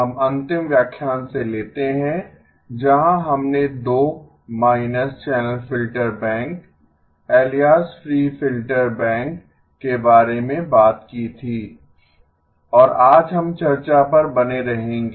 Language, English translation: Hindi, We pick up from the last lecture where we talked about the 2 minus channel filter bank, alias free filter bank and today we will continue on the discussion